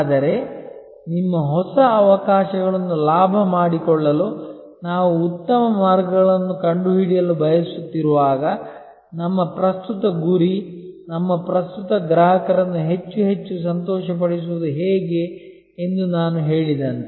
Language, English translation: Kannada, But, while we want to find the best ways to capitalize your new opportunities, as I mentioned our primary aim should be how to delight our current customers more and more